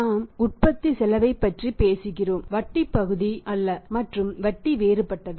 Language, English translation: Tamil, Cost of production we are talking about not the interest part and trust is different